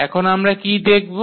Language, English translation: Bengali, So, what we will get